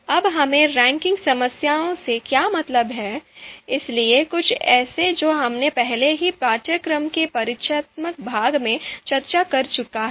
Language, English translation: Hindi, Now what do we mean by ranking problems, so something that we have already discussed in the introductory part of the course